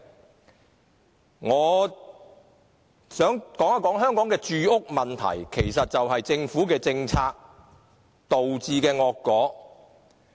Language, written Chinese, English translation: Cantonese, 此外，我想談談香港的住屋問題，這其實是政府政策導致的惡果。, Besides I would like to talk about the housing problem which in fact is caused by the poor policies of the Government